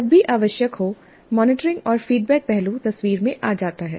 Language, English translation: Hindi, As when necessary, the monitoring and feedback aspect comes into the picture